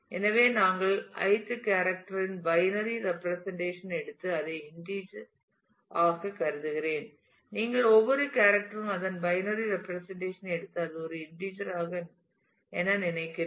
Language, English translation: Tamil, So, we take the binary representation of the ith character and assume it to be the integer I simply every character you take its binary representation and think as if it is an integer